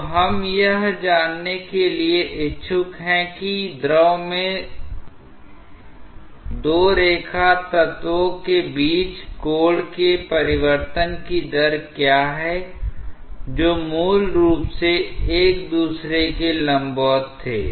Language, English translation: Hindi, So, what we are interested to find out that what is the rate of change of angle between two line elements in the fluid which were originally perpendicular to each other